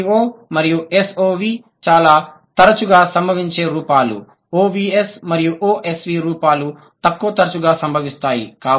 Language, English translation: Telugu, And of these S V O and S O V are the most frequently occurred ones and O V S V at the least frequently occurred ones